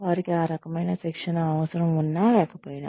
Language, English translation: Telugu, They may or may not need, that kind of training